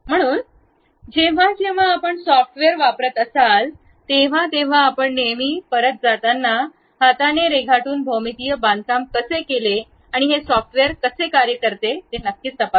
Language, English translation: Marathi, So, whenever you are using a software, you always go back check how a geometrical construction by hand drawing we have done, and how this software really works